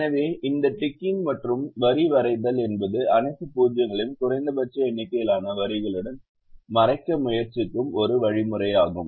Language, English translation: Tamil, so this ticking and line drawing is a very algorithmic way of trying to cover all the zeros with minimum number of lines